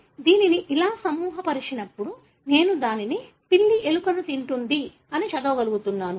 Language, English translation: Telugu, So, when it is grouped like this, I am able to read it as `the cat eat the rat’